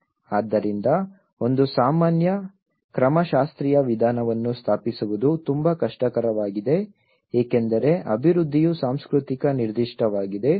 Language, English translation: Kannada, So, there is one it's very difficult to establish a common methodological approach you because development is a culture specific